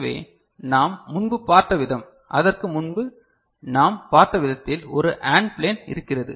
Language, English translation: Tamil, So, the way we had seen it before; the way we had seen before that there is an AND plane ok